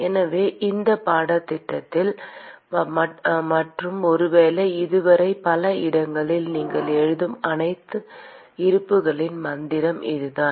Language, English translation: Tamil, So, this is the mantra of all the balances that you would be writing in this course and perhaps in many other courses till you finish your B